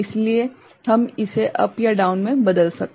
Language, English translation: Hindi, So, we can convert it to up or down ok